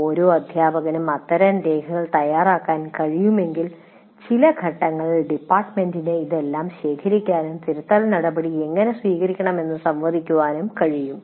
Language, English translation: Malayalam, If every teacher can prepare that, then the department at some point of time can pool all this and talk about how to take corrective action for that